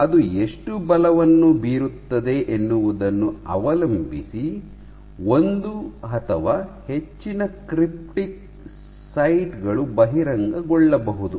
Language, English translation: Kannada, So, depending on the amount it exerts amount of force it exerts it is possible that one or more of the cryptic sites are exposed